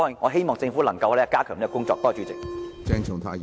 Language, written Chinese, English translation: Cantonese, 我希望政府能夠加強這方面的工作。, I hope the Government can strengthen its efforts in this area